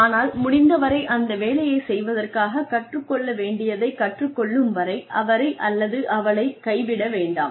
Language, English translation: Tamil, But, do not abandon him or her, till the learner has learnt whatever there is to learn, in order to do the job as well as possible